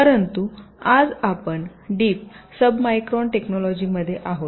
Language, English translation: Marathi, but today we are into deep sub micron technology